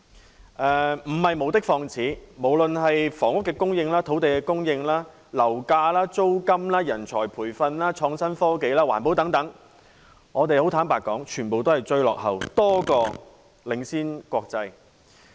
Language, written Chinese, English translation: Cantonese, 這番批評絕不是無的放矢，在房屋供應、土地供應、樓價、租金、人才培訓、創新科技、環保等範疇，坦白說，我們在國際上全部都是落後多於領先。, This allegation is not unsubstantiated . As a matter of fact we are falling behind other countries instead of leading them in coping with housing supply land supply property prices rent talent training innovation and technology and environmental protection